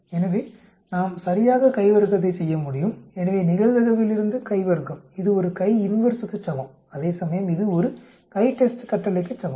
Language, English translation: Tamil, So we can do chi square exactly, so chi square from a probability this is equivalent to a chi inverse whereas this equivalent to a CHITEST command